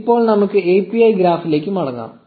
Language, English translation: Malayalam, So, now let us get back to the graph API